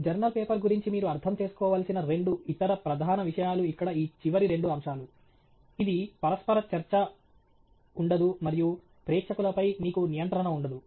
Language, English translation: Telugu, May be the two other major things that you need to understand about a journal paper are these last two points here that it is not interactive and you have no control on audience